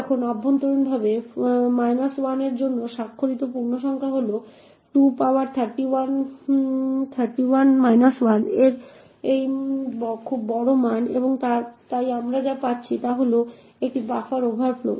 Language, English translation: Bengali, Now internally the signed integer for minus 1 is this very large value of 2 power 31 minus 1 and therefore what we are getting is a buffer overflow